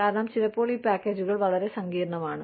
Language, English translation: Malayalam, Because, sometimes, these packages are very complex